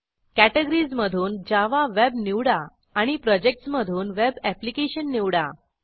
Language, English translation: Marathi, From the categories, choose Java Web and from the Projects choose Web Application